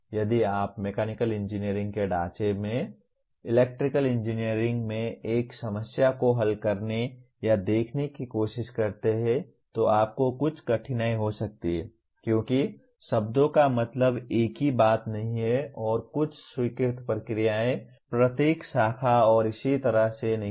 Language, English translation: Hindi, If you try to solve or look at a problem in Electrical Engineering from the framework of Mechanical Engineering you can have some difficulty because the words do not mean the same thing and some of the accepted procedures are not the same in each branch and so on